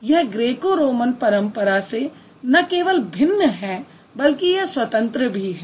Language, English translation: Hindi, It was different from the Greco Roman traditions